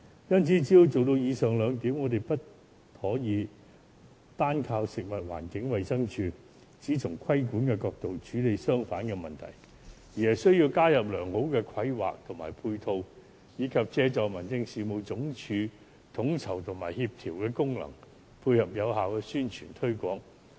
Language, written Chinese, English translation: Cantonese, 要做到以上兩點，我們不可以單靠食物環境衞生署只從規管的角度處理商販的問題，而是需要引入良好的規劃和配套，以及借助民政事務總署統籌及協調的功能，配合有效的宣傳推廣。, To achieve these two objectives we cannot merely rely on the Food and Environmental Hygiene Department to handle the problems of traders from a regulatory perspective . We must also introduce good planning provide ancillary facilities utilize the coordinating function of the Home Affairs Department and make effective promotional efforts . There are the measures to tackle the problem at root